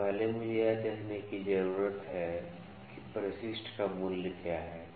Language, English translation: Hindi, So, first I need to see what is the value of addendum